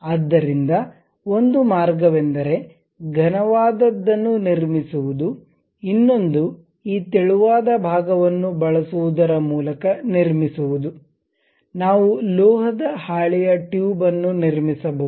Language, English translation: Kannada, So, one way is constructing a solid one; other one is by using this thin portion, we will be in a position to construct a metal sheet tube